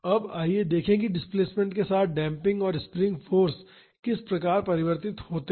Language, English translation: Hindi, Now, let us see how damping and the spring force varies with displacement